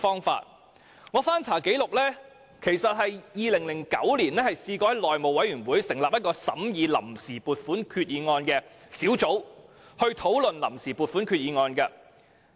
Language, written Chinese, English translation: Cantonese, 翻查紀錄 ，2009 年內務委員會曾成立一個審議臨時撥款決議案的小組委員會，討論臨時撥款決議案。, According to records a Subcommittee was set up by the House Committee to scrutinize and discuss the Vote on Account Resolution in 2009